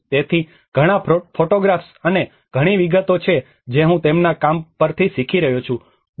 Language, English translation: Gujarati, So, many of the photographs and many of the details which I am learning from their work, Dr